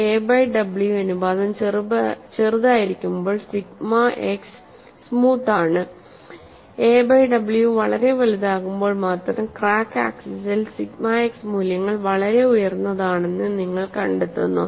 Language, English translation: Malayalam, When the a by w ratio is small, the sigma x is smooth; only when a by w is very large, you find the sigma x values are very high on the crack axis